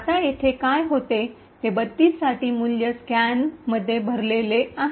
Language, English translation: Marathi, Now what happens here is that this value of 32 that’s filled in the stack